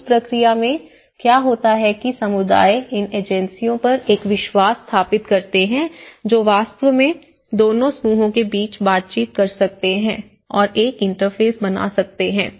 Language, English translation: Hindi, In that process, what happens is communities establish a trust on these agencies which can actually negotiate and may create an interface between both the groups